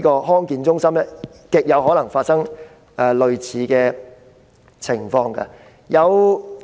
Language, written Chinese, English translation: Cantonese, 康健中心極有可能發生類似情況。, DHCs are very likely to land in a similar situation